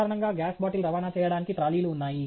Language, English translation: Telugu, Typically, to transport the gas bottle, there are trolleys